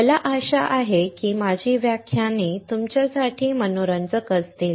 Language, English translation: Marathi, I hope that my lectures are interesting to you